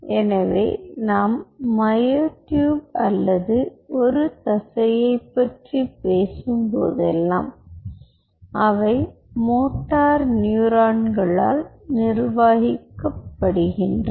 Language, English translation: Tamil, so whenever we talk about ah, myotube or a muscle, they are governed by motor neurons